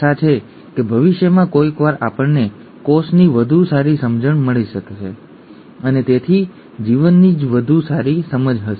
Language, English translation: Gujarati, Hopefully sometime in the future we will have a better understanding of the cell and therefore a better understanding of life itself